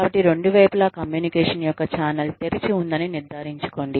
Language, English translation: Telugu, So, make sure, that the channel of two way communication, is open down